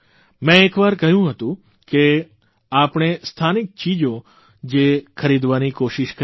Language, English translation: Gujarati, I had once said that we should try to buy local products